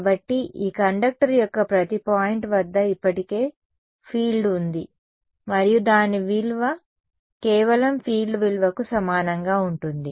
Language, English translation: Telugu, So, there is a field that is already there at every point of this conductor and its value is going to just be equal to the value of the